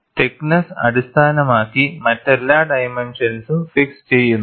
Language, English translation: Malayalam, Based on the thickness, all other dimensions are fixed